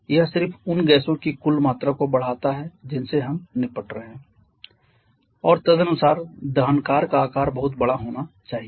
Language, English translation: Hindi, It just increases the total volume of the gases that we are dealing with and accordingly the size of the combustor may need to be much larger